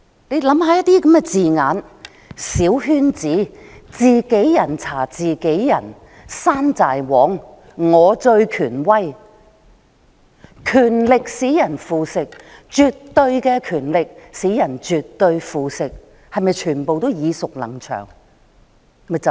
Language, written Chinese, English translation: Cantonese, 大家試想想那些字眼："小圈子"、"自己人查自己人"、"山寨王"、"我最權威"，"權力使人腐蝕，絕對的權力使人絕對腐蝕"，是否全部都耳熟能詳？, Let us think about those wordings small circle peer investigation tinpot dictator I am most authoritative power corrupts; absolute power corrupts absolutely . Do they all sound familiar?